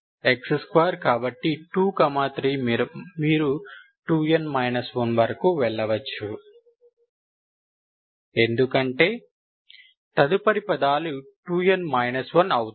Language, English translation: Telugu, x square, so 2, 3 up to, you can go 2 n up to minus 1, because the next, next terms are 2 n minus 1